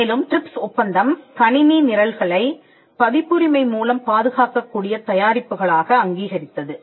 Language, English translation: Tamil, And the TRIPS agreement also recognised computer programs as products that can be protected by copyright